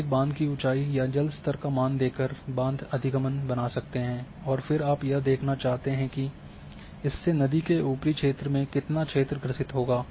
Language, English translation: Hindi, You can create a dam access by giving a height of a dam or the water level and then you want to see that how much area will emendate in the upper stream